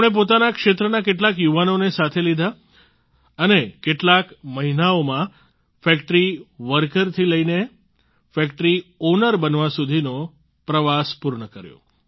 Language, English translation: Gujarati, He brought along some youngsters from his area and completed the journey from being a factory worker to becoming a factory owner in a few months ; that too while living in his own house